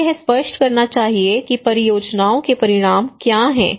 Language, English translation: Hindi, We should make it very clear that what are the outcomes of the projects